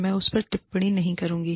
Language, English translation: Hindi, I will not comment on that